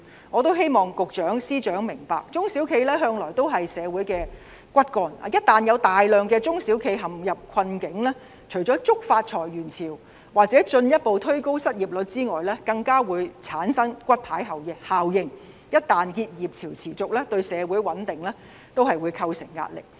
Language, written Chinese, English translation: Cantonese, 我希望司長和局長明白，中小企向來是社會的骨幹，一旦有大量中小企陷入困境，除了觸發裁員潮或進一步推高失業率外，更會產生骨牌效應，而且若結業潮持續，對社會穩定會構成壓力。, I hope that the Secretaries understand that SMEs have always been the pillars of our society . If a large number of SMEs are in dire straits in addition to triggering waves of layoffs or further increase of the unemployment rate it will produce a domino effect . If the waves of business closures persist it will put pressure on social stability